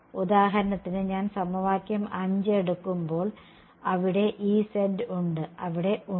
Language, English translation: Malayalam, So, for example, when I take equation 5 there is E z and there is